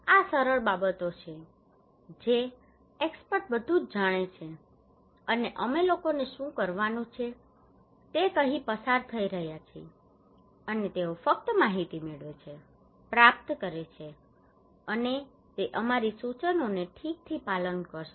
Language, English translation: Gujarati, These simple things that we experts know everything and we are passing telling the people what to do and they just get the informations, receive it, and they will follow our instructions okay